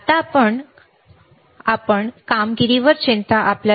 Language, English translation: Marathi, Right now, because we are not worried about the performance,